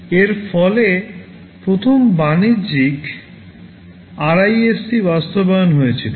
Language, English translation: Bengali, TSo, this resulted in the first commercial RISC implementation